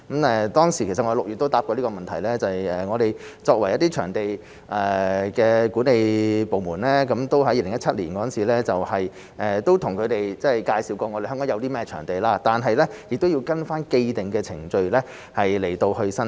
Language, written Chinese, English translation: Cantonese, 其實我在6月也回答過這個問題，我們的場地管理部門在2017年向他們介紹過香港有甚麼場地，但亦要根據既定的程序申請。, In fact I gave a reply to this question in June too . Our venue management department explained to them in 2017 what venues are available in Hong Kong and that application should be submitted according to the established procedures